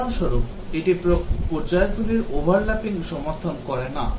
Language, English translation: Bengali, For example, it does not support over lapping of the phases